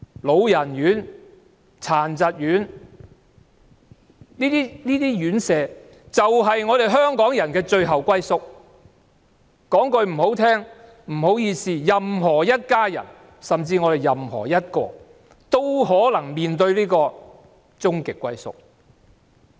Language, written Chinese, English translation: Cantonese, 老人院和殘疾人士院舍，就是香港人的最後歸宿，說得難聽一點，任何一家人或我們當中的任何人，也可能會面對這個終極歸宿。, Frankly residential care homes for the elderly or for persons with disabilities are the final destination for Hong Kong people . Any family member or anyone of us here may have to face this final destination